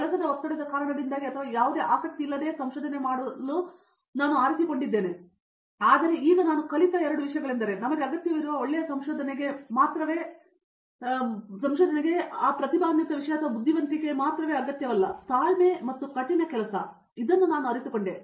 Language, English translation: Kannada, Then because of work pressure or whatever I opted to do research without having any interest, but now the two thing that I learnt is one is you need not have that genius thing or intelligence to do good research only thing that we need is interest, patience and hard work, so that I realized that